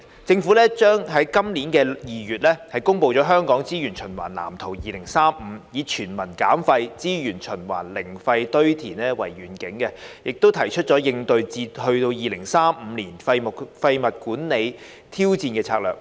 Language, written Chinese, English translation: Cantonese, 政府於今年2月公布《香港資源循環藍圖2035》，以"全民減廢.資源循環.零廢堆填"為願景，提出應對至2035年廢物管理挑戰的策略。, The Government announced the Waste Blueprint for Hong Kong 2035 in February this year . Setting out the vision of Waste Reduction․Resources Circulation․Zero Landfill the Waste Blueprint outlined the strategies to tackle the challenge of waste management up to 2035